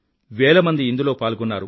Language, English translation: Telugu, Thousands participated in this campaign